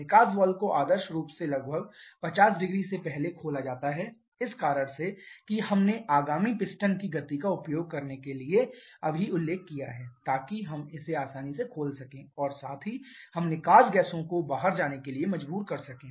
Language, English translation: Hindi, The exhaust valve is ideally opened about 500 before for the reason that we have just mentioned in order to use the momentum of the upcoming piston, so that we can easily open it and also we can force the exhaust gasses to go out